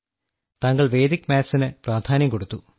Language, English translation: Malayalam, That you gave importance to Vedic maths and chose me sir